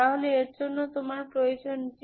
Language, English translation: Bengali, So for this you need J n